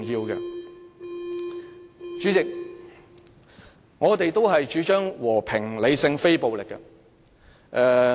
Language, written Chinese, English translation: Cantonese, 代理主席，我們主張和平理性非暴力。, Deputy President we advocate peace rationality and non - violence